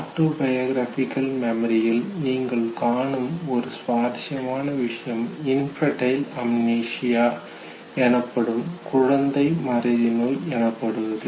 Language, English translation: Tamil, One interesting thing you will find in autobiographical memory, what is called as infantile Amnesia